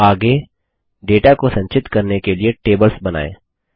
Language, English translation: Hindi, Next, let us create tables to store data